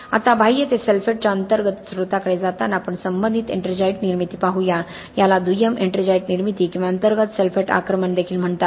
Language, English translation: Marathi, Now moving on from an external to an internal source of sulphates let us look a related ettringite formation this is also called secondary ettringite formation or internal sulphate attack